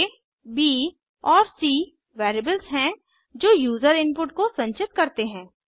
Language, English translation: Hindi, $a, $b and $c are variables that store user input